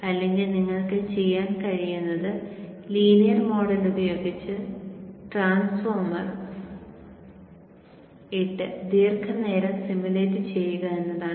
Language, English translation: Malayalam, Or what you could do is you could put a transformer with a linear model and simulate it for extended periods of time